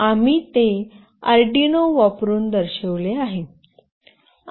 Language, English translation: Marathi, We have shown it using Arduino